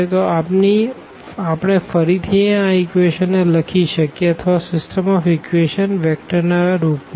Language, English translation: Gujarati, So, we can again rewrite these equation or the system of equation in this form in the vectors form